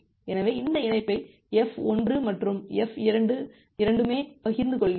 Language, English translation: Tamil, So, this link is being shared by both F1 and F2